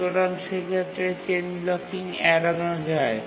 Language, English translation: Bengali, It prevents chain blocking